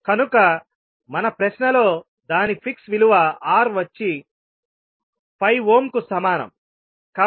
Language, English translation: Telugu, So what we had in our question is its fix value as R equal to 5ohm